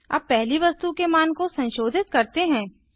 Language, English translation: Hindi, We shall now see the value of the third element